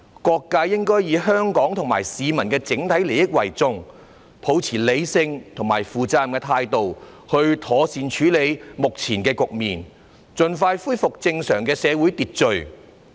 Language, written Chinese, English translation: Cantonese, 各界應以香港和市民的整體利益為重，抱持理性和負責任的態度，妥善處理目前的局面，盡快恢復正常的社會秩序。, Various sectors should attach importance to the overall interests of Hong Kong and the public and adopt a rational and responsible attitude in handling the present situation properly so as to restore normal social order as soon as possible